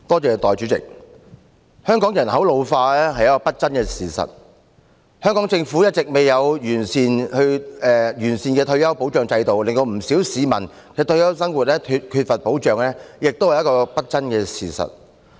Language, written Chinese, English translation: Cantonese, 代理主席，香港人口老化是不爭的事實，而香港政府一直未有完善的退休保障制度，令不少市民的退休生活缺乏保障，亦是不爭的事實。, Deputy President the population in Hong Kong is ageing . This is an indisputable fact . The Hong Kong Government has yet to put in place a comprehensive retirement protection system resulting in the retirement life of many members of the public being left unprotected